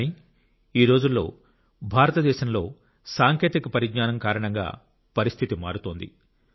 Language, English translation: Telugu, But today due to technology the situation is changing in India